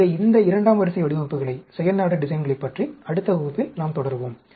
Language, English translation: Tamil, So, we will continue more about these second order designs in the next class